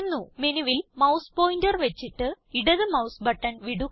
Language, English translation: Malayalam, Place the mouse pointer on the menu and release the left mouse button